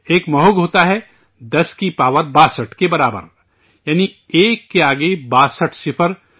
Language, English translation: Urdu, There is a Mahogha 10 to the power of 62, that is, 62 zeros next to one